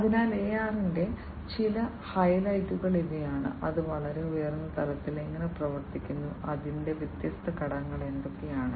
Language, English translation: Malayalam, So, these are some of the highlights of AR and how it works at a very high level, what are the different components of it